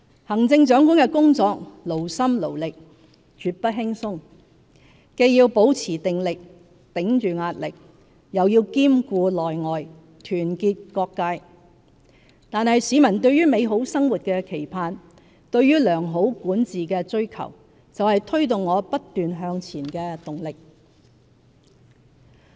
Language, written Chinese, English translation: Cantonese, 行政長官的工作勞心勞力，絕不輕鬆，既要保持定力，頂着壓力，又要兼顧內外，團結各界，但市民對美好生活的期盼、對良好管治的追求，就是推動我不斷向前的動力。, The work of the Chief Executive is taxing and not easy at all . I need to remain composed and resilient under pressure while taking care of the internal and external environment and unite all sectors of the community . Nevertheless peoples aspirations for a happy life and good governance are the driving force to keep me striving forward